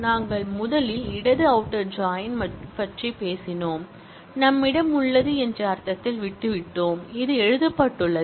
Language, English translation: Tamil, We first talked about left outer join, left in the sense that we have, this is how it is written